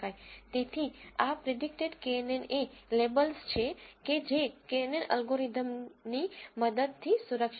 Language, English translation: Gujarati, So, this predicted knn is the labels that is being protected using the knn algorithm